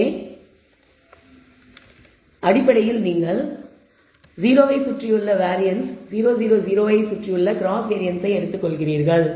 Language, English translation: Tamil, So, essentially you are taking the variance around 0 and the cross covariance around 0 0 0 and then you will get the estimated value of beta 1